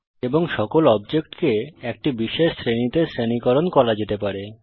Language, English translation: Bengali, And All the objects can be categorized into special groups